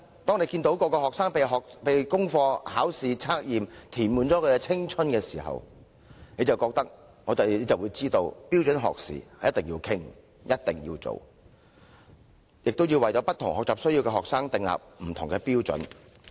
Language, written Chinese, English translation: Cantonese, 當大家看到學生的青春被功課、考試和測驗完全填滿的時候，便會明白有必要討論和處理標準學時的問題，亦要為有不同學習需要的學生訂定不同的標準。, If we are aware of how students are overburdened by homework examinations and quizzes we will understand the importance of discussing and introducing standard learning hours as well as setting different standards for students with different learning needs